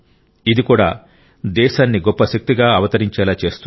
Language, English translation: Telugu, This too will emerge as a major force for the nation